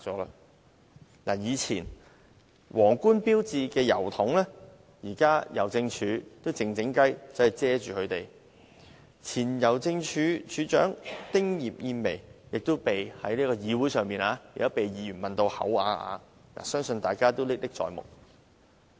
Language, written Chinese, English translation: Cantonese, 舊郵筒上的皇冠標誌被香港郵政偷偷遮蓋，前香港郵政署署長丁葉燕薇曾在議會上被議員問到啞口無言，相信大家都歷歷在目。, The crown markings on posting boxes have been secretly covered by Hongkong Post . Members will clearly remember that former Postmaster General Jessie TING was as dumb as a fish when Members put questions to her on this matter at the Legislative Council